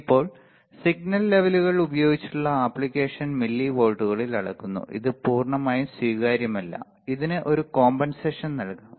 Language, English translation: Malayalam, Now, application by the signal levels are measured in millivolts this is totally not acceptable this can be compensated